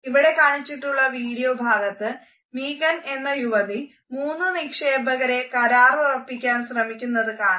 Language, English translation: Malayalam, In this particular clip we find that one of the clients Megan has to pitch three investors